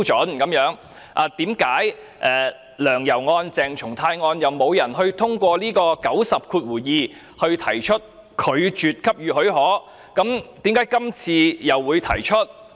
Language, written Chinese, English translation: Cantonese, 為何"梁游"案、鄭松泰案沒有人根據第902條提出拒絕給予許可，但今次卻有人提出呢？, Why was it that no one had proposed to refuse giving leave under RoP 902 for the case of Sixtus LEUNG and YAU Wai - ching and that of CHENG Chung - tai but a motion to this effect is proposed for this case now?